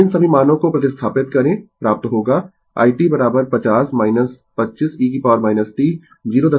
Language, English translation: Hindi, So, you substitute all these values you will get i t is equal to 50 minus 25 e to the power minus 0